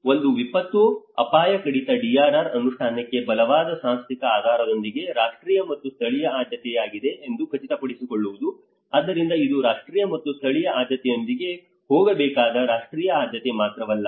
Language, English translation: Kannada, One is ensure that disaster risk reduction DRR is a national and local priority with a strong institutional basis for implementation, so it is not just only a national priority it has to go with a national and as well as a local priority